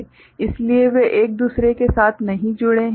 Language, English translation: Hindi, So, they are not connected with each other